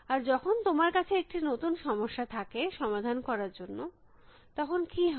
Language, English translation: Bengali, And what happens, when you have a new problem to solve